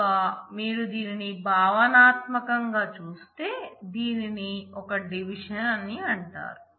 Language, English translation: Telugu, So, if you conceptually look at that is the reason this is called a division